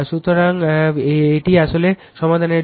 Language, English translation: Bengali, So, this is for you actually solve it